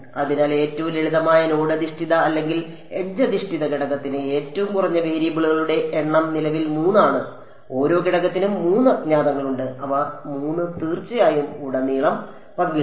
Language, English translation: Malayalam, So, number of variables currently is 3 for the low for the most for the simplest node based or edge based element, per element there are 3 unknowns and those 3 are of course, shared across